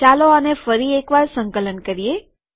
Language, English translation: Gujarati, Lets compile this once more